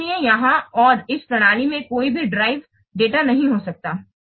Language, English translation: Hindi, So here, and this result cannot contain any derived data